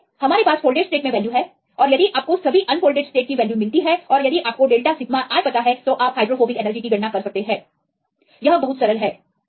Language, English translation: Hindi, So, we have the value in the folded states and you get the value of all unfolded state and if this is known delta sigma i you can calculate the hydrophobic free energy